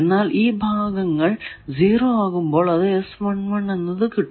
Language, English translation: Malayalam, When these portions become 0, when those positions become 0